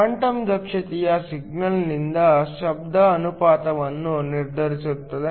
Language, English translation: Kannada, The quantum efficiency determines the signal to noise ratio